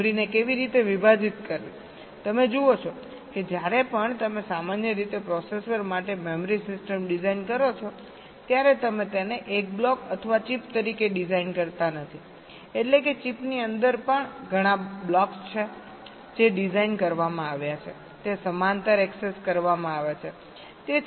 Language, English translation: Gujarati, see, you know, whenever you design the memory system for a processor, normally you do not design it as a single block or a chip means mean even within a chip there are multiple blocks which are designed